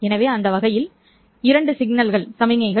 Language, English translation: Tamil, So in that sense these two are perpendicular signals